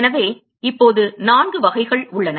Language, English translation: Tamil, So now, so there are four types of